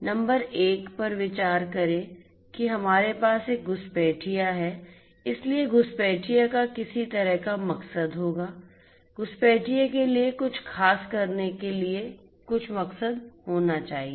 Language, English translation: Hindi, Number one consider that we have an intruder, so for an intruder the intruder will have some kind of motive, some motive must be there for the intruder to do certain thing